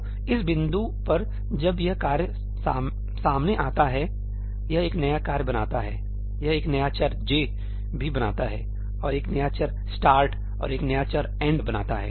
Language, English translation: Hindi, So, at this point of time when this task is encountered, it creates a new task, it also creates a new variable ëjí, and a new variable ëstartí and a new variable ëendí